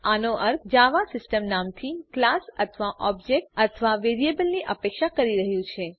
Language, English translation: Gujarati, This means, Java is expecting a class or object or a variable by the name system